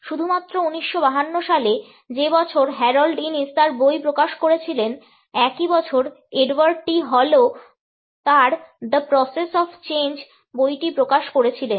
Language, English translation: Bengali, In 1952 only, the same year in which Harold Innis has published his book, Edward T Hall also published his book The Process of Change